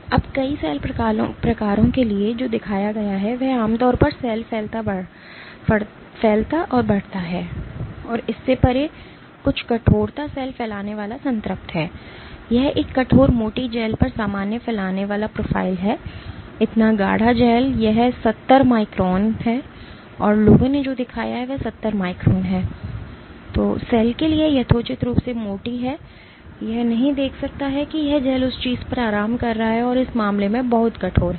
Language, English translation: Hindi, Now, what has been shown for multiple cell types is generally cell spreading increases and beyond that certain stiffness cell spreading saturates, this is the normal spreading profile on a stiff on thick gel; so thick gel this is 70 microns and what people have shown is 70 microns is reasonably thick for the cell that it cannot see the this gel is resting on something which is very stiff in this case class